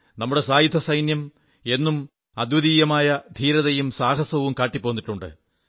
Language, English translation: Malayalam, Our armed forces have consistently displayed unparalleled courage and valour